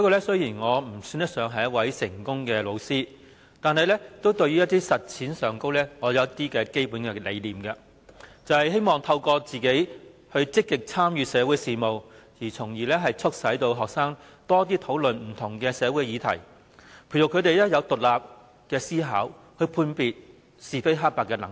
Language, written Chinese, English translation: Cantonese, 雖然我算不上一位成功的教師，但實踐上也有一些基本理念，就是希望透過自己積極參與社會事務，從而促使學生多討論不同的社會議題，培育他們有獨立思考、判別是非黑白的能力。, Although I cannot be regarded as a successful teacher I still had some fundamental beliefs in practice that is through my active involvement in social affairs I hope to encourage students to have more discussions on different social issues so as to nurture their abilities to think independently and differentiate critically between right and wrong